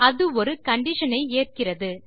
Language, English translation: Tamil, It takes a condition